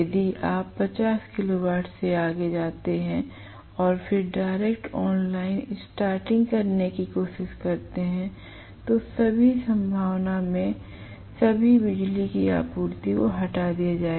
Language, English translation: Hindi, If you go beyond 50 kilo watt and then try to do direct online starting, may in all probability or all power supply will be removed